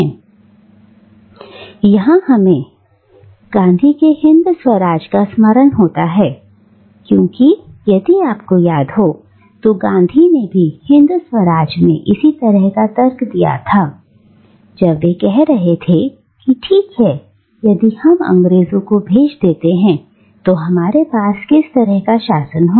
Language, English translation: Hindi, And here we are reminded of Gandhi’s Hind Swaraj because, if you remember, Gandhi was also making a similar argument in Hind Swaraj when he was saying that, okay, if we send away the English, what kind of governance are we going to have